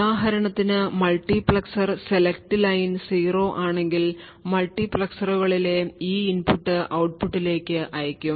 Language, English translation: Malayalam, So, for example, if the multiplexers select line is 0 then this input at the multiplexers is sent to the output